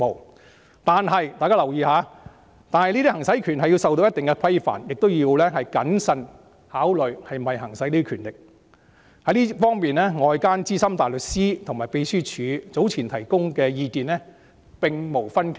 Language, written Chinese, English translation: Cantonese, 然而，大家要留意，"行使這些權力是受到一定的規範，亦要謹慎考慮是否行使這些權力......在這方面，外間資深大律師與秘書處早前提供的意見並無分歧"。, However Honourable colleagues should note that the exercise of such powers is subject to certain caveats and heshe should exercise caution as to whether to exercise the powers In this regard Senior Counsels advice is no different from that provided by the Secretariat earlier